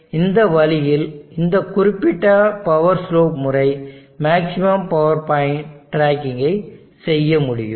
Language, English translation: Tamil, So in this way this particular power slope method can do maximum power point tracking